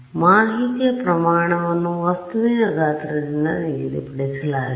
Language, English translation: Kannada, No, see the amount of information is fixed by the size of the object